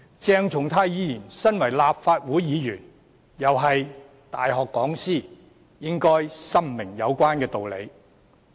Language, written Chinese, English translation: Cantonese, 鄭松泰議員身為立法會議員，亦是大學講師，應該深明有關道理。, As a Member of the Legislative Council and a lecturer of a university Dr CHENG Chung - tai should clearly understand the rationale therein